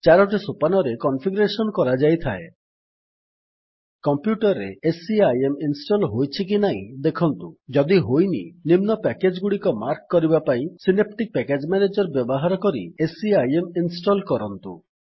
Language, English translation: Odia, The configuration is done in four steps Check if SCIM is installed on your computer If not, use the Synaptic Package Manager to mark the following packages and install SCIM